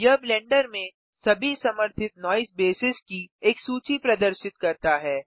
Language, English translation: Hindi, This shows a list of all supported noise bases in Blender